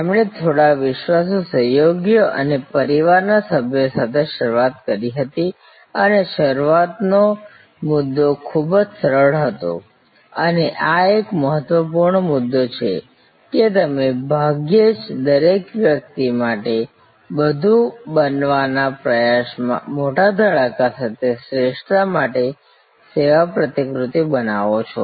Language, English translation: Gujarati, He started with few trusted associates and family members and the starting point was very simple and this is an important point, that very seldom you create a service model for excellence with the big bang in trying to become everything for everybody